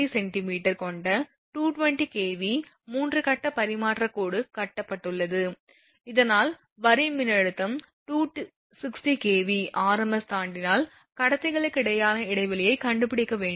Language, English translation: Tamil, A 220 kV 3 phase transmission line with conductor radius 1 point 3 centimetre is built so that corona takes place if the line voltage exceed 260 kV rms find the spacing between the conductors